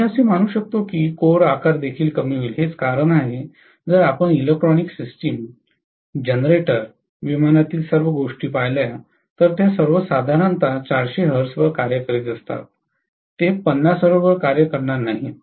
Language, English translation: Marathi, I can assume that the core size will also decrease, that is one reason why if you look at the electronic systems, generators, all those things in aircrafts, they will all be operating at 400 hertz generally, they will not be operating at 50 hertz